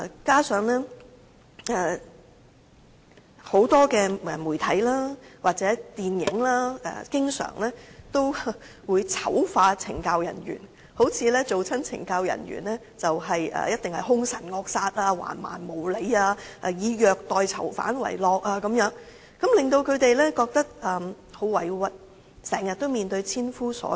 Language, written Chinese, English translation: Cantonese, 加上很多媒體或電影經常醜化懲教人員，好像凡是當懲教人員的人，便必定兇神惡煞、橫蠻無理、以虐待囚犯為樂，令她們感到很委屈，經常面對千夫所指。, In addition CSD staff are always vilified by the media or movies thus it seems that all CSD staff are by nature fierce and barbaric and would enjoy ill - treating inmates . All of these have made them feel very aggrieved and they are constantly facing a thousand accusing fingers